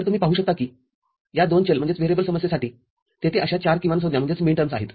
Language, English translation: Marathi, So, you can see that for each of these two variable problem, 4 possible such minterms are there